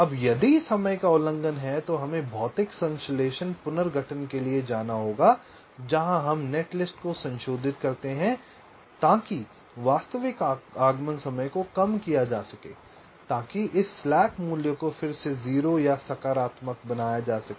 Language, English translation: Hindi, now, if there is a timing violation, then we have to go for physical synthesis, restructuring, where we modify the netlist so that the actual arrival time can be reduced, so that this slack value can be again made zero or positive